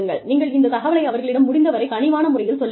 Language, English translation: Tamil, You communicate this fact to them, in as sensitive a manner, as possible